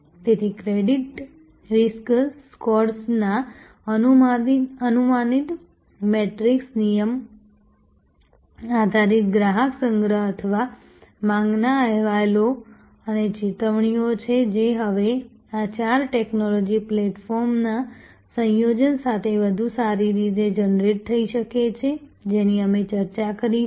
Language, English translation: Gujarati, So, predictive metrics of credit risk scores are rule based customer collection or on demand reports and alerts this can be, now generated much better with the combination of this four technology platforms, that we discussed